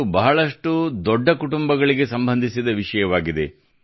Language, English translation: Kannada, This is a topic related to very big families